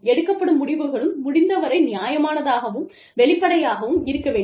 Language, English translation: Tamil, And, the decision making, should be as fair and transparent, as possible